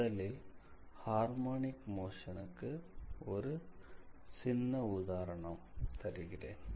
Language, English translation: Tamil, So, let me give you a small example, what do you mean by harmonic motion